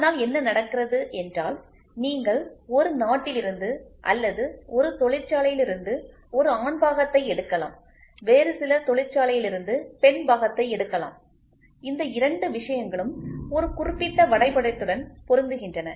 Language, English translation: Tamil, So, then what happens is you can take a male part from one country or from one factory a female part from some other factory and both these things match to a particular drawing